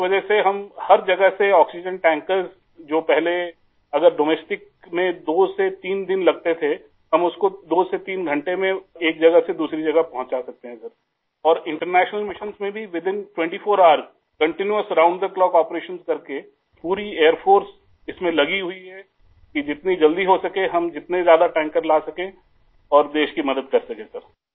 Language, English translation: Hindi, We have completed nearly 160 international missions; due to which, from all places, oxygen tankers from domestic destinations which earlier took two to three days, now we can deliver from one place to another in two to three hours; in international missions too within 24 hours by doing continuous round the clock operations… Entire Air Force is engaged in this so that we can help the country by bringing in as many tankers as soon as possible